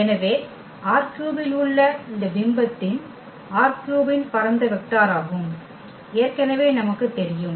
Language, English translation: Tamil, So, we know already the spanning vector of this image R 3 which is in R 3